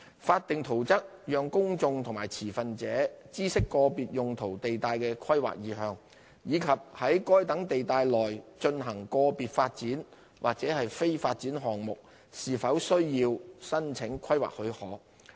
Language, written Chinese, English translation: Cantonese, 法定圖則讓公眾和持份者知悉個別用途地帶的規劃意向，以及在該等地帶內進行個別發展或非發展項目是否需要申請規劃許可。, Statutory plans enable the general public and stakeholders to understand the planning intention of particular land use zonings and whether application for planning permission is required for certain development or non - development projects